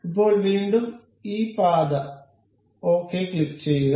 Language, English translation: Malayalam, So, now, again this path, we will click ok